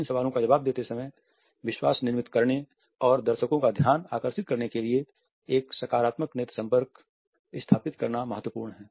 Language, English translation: Hindi, While answering these questions it is important to have a positive eye contact to build trust and engage the attention of the audience